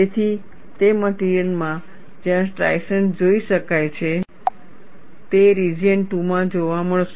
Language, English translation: Gujarati, So, in those materials where striations can be seen it would be seen in the region 2